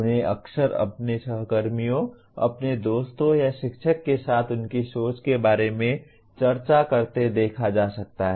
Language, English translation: Hindi, They often can be seen discussing with their colleagues, their friends or with the teacher about their thinking